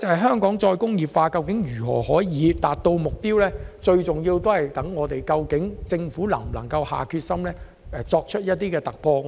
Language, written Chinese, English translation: Cantonese, 香港能否達成再工業化的目標，最重要視乎政府能否下定決心，作出突破。, Hong Kong can achieve the target of re - industrialization or not depends heavily on whether the Government is determined to strive for breakthroughs